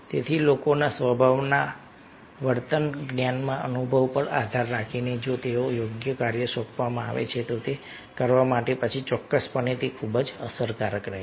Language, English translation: Gujarati, so, depending on the nature, behavior, knowledge, experience of the people, if they are assigned the proper task to be perform, to be ah done, then definitely it is going to be very effective